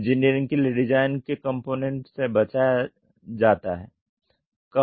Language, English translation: Hindi, Design of customer engineer component is avoided